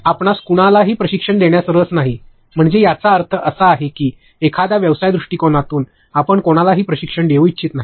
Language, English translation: Marathi, You are not interested in training anybody, so that means, a business perspective you do not want to train anyone